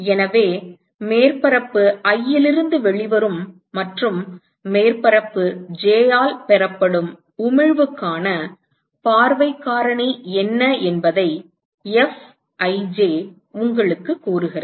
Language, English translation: Tamil, So, Fij tells you what is the view factor for emission which is coming out of the surface i and is received by surface j